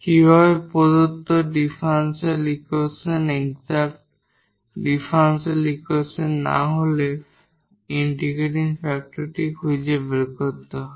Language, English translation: Bengali, The given differential equation becomes exact then such a function is called the integrating factor